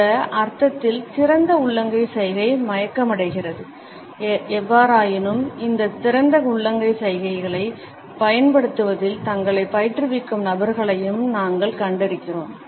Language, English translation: Tamil, The open palm gesture in this sense is unconscious; however, we have also come across people who train themselves in the use of this open palm gestures